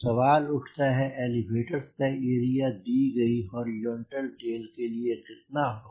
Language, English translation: Hindi, question will be: how much would be the elevator size for a given horizontal tail area